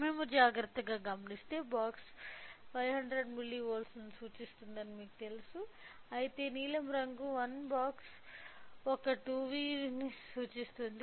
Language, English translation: Telugu, So, if we observe carefully the you know the vertical one box represents 500 milli volts whereas, for the blue one box represents 2 volts